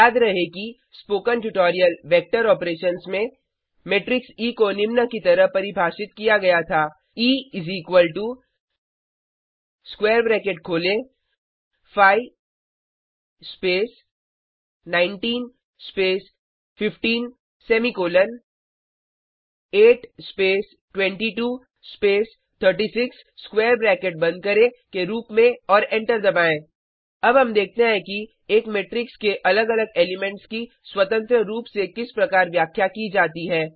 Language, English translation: Hindi, Recall that in the Spoken Tutorial, Vector Operations, matrix E was defined as E is equal to open square bracket 5 space 19 space 15 semicolon 8 space 22 space 36 close the square bracket and press enter Let us now see how to address individual elements of a matrix, separately